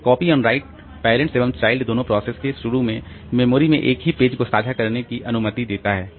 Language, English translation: Hindi, So, copy on right it allows both parent and child processes to initially share the same pages in memory